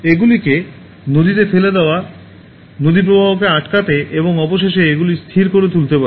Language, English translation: Bengali, Throwing them in rivers can block the flow and eventually make them stagnant